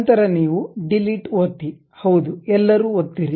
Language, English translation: Kannada, Then you can press Delete, Yes to All